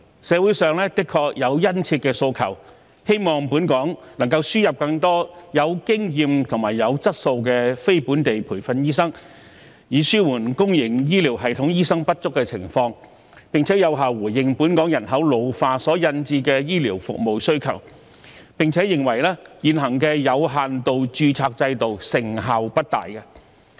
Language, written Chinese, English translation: Cantonese, 社會上的確有殷切的訴求，希望本港能夠輸入更多具經驗和具質素的非本地培訓醫生，以紓緩公營醫療系統醫生不足的情況，並有效應付本港人口老化所引致的醫療服務需求；而且，社會認為現行的有限度註冊制度成效不大。, There is indeed a strong demand in society for importing more experienced and quality non - locally trained doctors to Hong Kong with a view to alleviating the shortage of doctors in the public healthcare system and effectively coping with the demand for healthcare services arising from Hong Kongs ageing population . Besides the community considers that the current limited registration system is not very effective